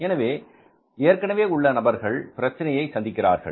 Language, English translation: Tamil, So the existing players face a problem